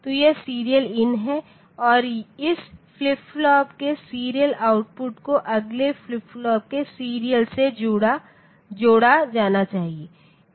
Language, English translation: Hindi, So, this is the serial in and this serial output of this flip flop, should be connected to the serial in of the next flip flop